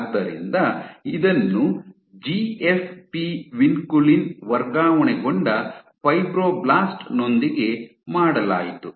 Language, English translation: Kannada, So, this was done with GFP Vinculin transfected fibroblast